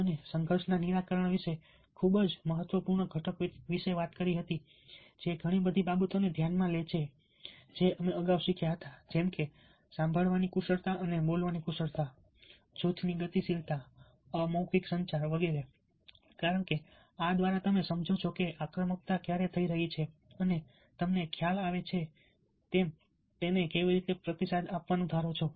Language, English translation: Gujarati, we talked about conflict resolution, a very, very important component which takes into consideration a lot of things that we learned ah earlier, like listening skills and speaking skills, ah, group dynamics, non verbal communication, because through these you understand when aggression is taking place and you are realize how you are suppose to respond to that